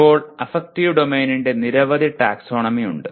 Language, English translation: Malayalam, Now there are, there has been several taxonomies of affective domain